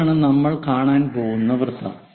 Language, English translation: Malayalam, This is the circle what we are going to see